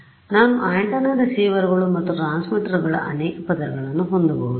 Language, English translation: Kannada, So, I could have multiple layers of antennas receivers and transmitters